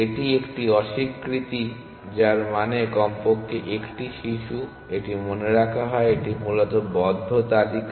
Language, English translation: Bengali, This is a negation of this which means at least 1child; this is remembered this is the close list essentially